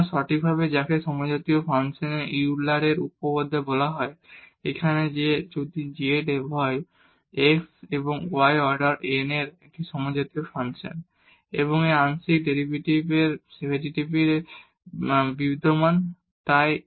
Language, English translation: Bengali, So, precisely what it is called the Euler’s theorem on homogeneous function and it says if z is a homogeneous function of x and y of order n and these partial derivatives exist and so on